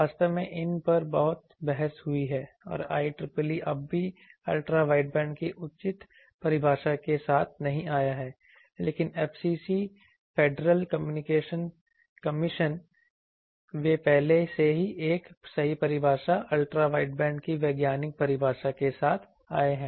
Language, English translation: Hindi, Actually there is a lot of debate over these and IEEE is still now does not come up with the proper definition of a Ultra wideband, but FCC Federal Communication Commission they have already came up with a correct definition scientific definition of Ultra wideband